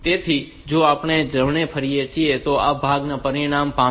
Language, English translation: Gujarati, So, if we rotate right then this part this result